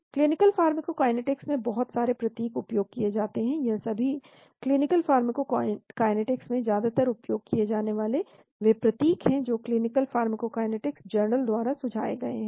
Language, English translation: Hindi, There are lot of symbols that are used in the clinical pharmacokinetics, these are most frequently used symbols in clinical pharmacokinetics as suggested by clinical pharmacokinetics journal